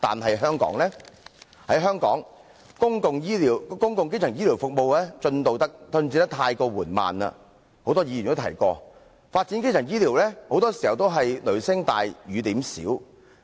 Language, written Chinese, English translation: Cantonese, 在香港，正如很多議員已提到，公共基層醫療服務進度過於緩慢，發展基層醫療很多時候是"雷聲大，雨點小"。, In Hong Kong as already mentioned by many Members the progress of public primary health care services is too slow and it has been all thunder but no rain in the development of primary health care services